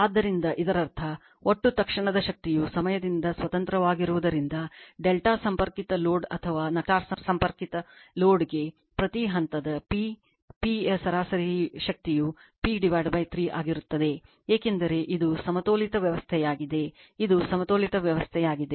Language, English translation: Kannada, So, that means, since the total instantaneous power is independent of time I told you, the average power per phase P p for either delta connected load or the star connected load will be p by 3, because it is the balanced system, it is a balanced system